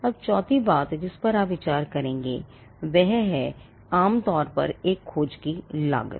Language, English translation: Hindi, Now the fourth thing you would consider is the cost normally the cost of a search is fixed